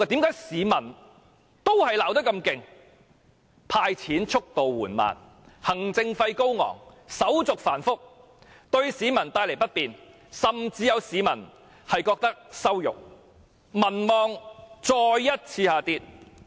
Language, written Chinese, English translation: Cantonese, 這是因為"派錢"速度緩慢、行政費高昂、手續繁複，對市民帶來不便，甚至有市民感到羞辱。, The reasons include the slow pace of handing out cash high administrative costs and complicated application procedures causing inconvenience to the public . Some people even feel insulted